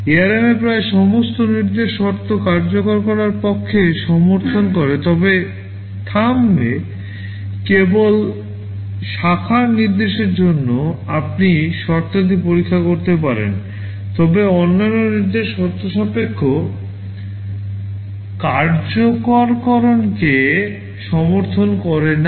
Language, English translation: Bengali, In ARM almost all the instructions support condition execution, but in Thumb only for branch instruction you can check for conditions, but other instruction do not support conditional execution